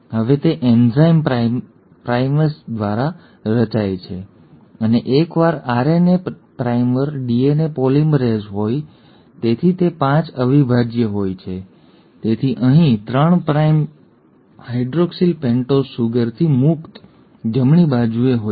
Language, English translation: Gujarati, Now this is formed by the enzyme primase and once the RNA primer is there DNA polymerase, so this is 5 prime, so the 3 prime hydroxyl here is free, right, of the pentose sugar